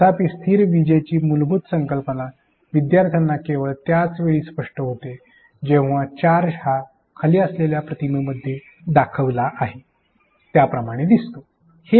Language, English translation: Marathi, However, the underlying concept of static electricity only become more evident once the charges in play are shown as seen in the bottom image